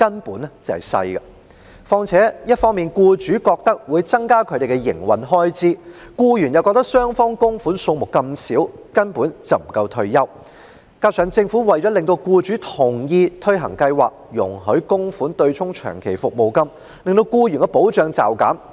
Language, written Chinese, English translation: Cantonese, 僱主認為向強積金供款會增加他們的營運開支，僱員又認為雙方供款金額這麼小，根本不足以保障他們的退休生活；加上政府為了令僱主同意推行計劃，便容許供款對沖長期服務金及遣散費，令僱員的保障驟減。, While employers think that contributing to MPF schemes will increase their operating expenses employees consider that the small amount of contribution made by both parties is downright insufficient to give them any retirement protection . Worse still in order to gain employers consent to implement the MPF System the Government has allowed employers to offset long service payments and severance payments with MPF benefits which has significantly reduced the protection of employees